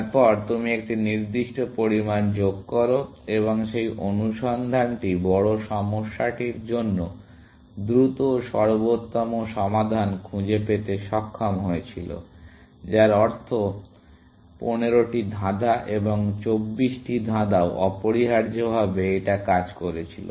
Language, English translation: Bengali, Then, you add a certain amount, and that search was able to find optimal solution such faster for bigger problem, which means for the 15 puzzle and the 24 puzzle as well, essentially